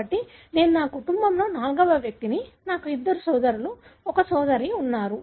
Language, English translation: Telugu, So, I am fourth in my family; I have two brothers, one sister